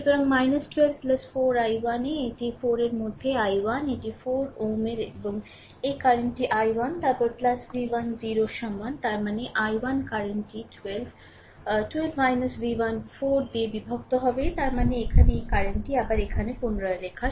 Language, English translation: Bengali, So, minus 12 right plus 4 into i 1 this is 4 into i 1 this is 4 ohm and this current is i 1 then plus v 1 equal to 0; that means, my i 1 current will be your 12 minus v 1 divided by 4 right so; that means, here this current again rewriting here